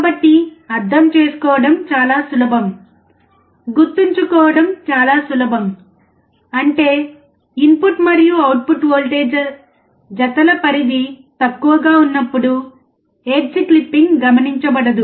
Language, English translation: Telugu, So, it is so easy to understand, so easy to remember; that means, that the range of input and output voltage pairs below, the edge clipping is not observed represents the input and output voltage